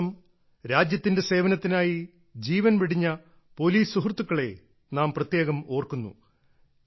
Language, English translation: Malayalam, On this day we especially remember our brave hearts of the police who have laid down their lives in the service of the country